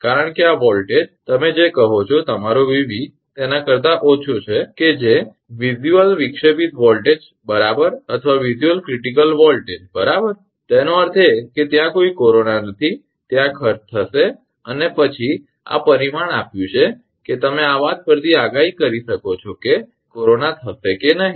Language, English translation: Gujarati, Because this voltage, less than your what you call that your Vv that visual disruptive voltage right or visual critical voltage rather right so; that means, there is no corona there will be cost and then giving this parameter you have to predict from that this thing whether corona will happen or not